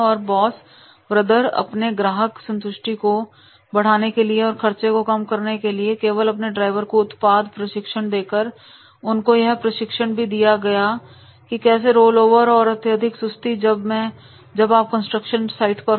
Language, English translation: Hindi, And most brothers have been able to reduce cost and raise customer satisfaction by providing drivers with product training and by instructing drivers to avoid the rollovers and excessive idling at construction sites